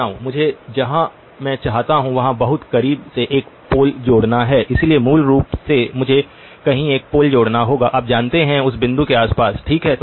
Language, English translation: Hindi, I have to add a pole very close to where I want this, so basically I have to add a pole somewhere you know around that point okay